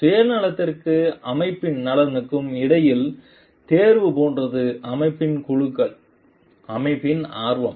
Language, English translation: Tamil, And like choice between self interest and like the interest of the organization groups interest of the organization